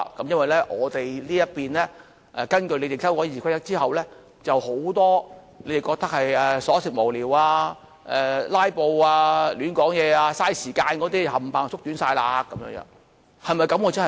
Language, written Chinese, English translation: Cantonese, 因為我們這一邊來說，根據你們建議所修改的《議事規則》，許多你們認為瑣屑無聊，"拉布"，亂說話，浪費時間的那些都統統縮短了。, As far as we are concerned the Rules of Procedure amended in accordance with your proposals could shorten the time of the delivery of frivolous or meaningless speeches filibuster the nonsense talking and the waste of time in your view